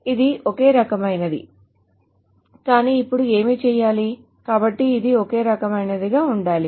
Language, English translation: Telugu, So it's kind of the same thing but except now what needs to be done so it has to be the same kind of thing